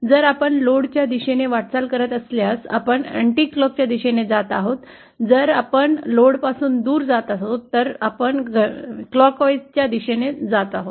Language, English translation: Marathi, If we are moving in a clockwise direction if we are moving towards the load, if we are going away from the load, we are moving in a clockwise direction